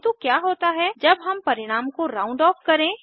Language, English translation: Hindi, But what if we want the result to be rounded off